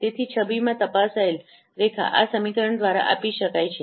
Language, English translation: Gujarati, So, the detected line in the image is given by this equation